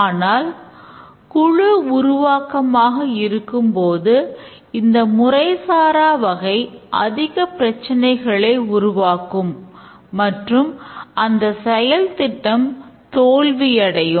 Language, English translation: Tamil, But when there is a team development, this kind of informal style of development would create real problem and the project will fail